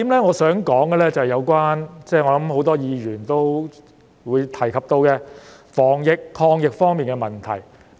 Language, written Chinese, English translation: Cantonese, 我想說的第一點，是有關——我想很多議員都會提及到的——防疫抗疫方面的問題。, The first point that I wish to raise―I think many Members will also speak about it―concerns the problems relating to the prevention and containment of the pandemic